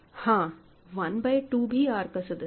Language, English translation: Hindi, So, 1 by 2 is R prime